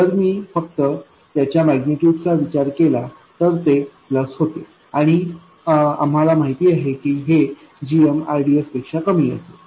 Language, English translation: Marathi, If I consider only its magnitude becomes plus and we know that this is going to be less than GM RDS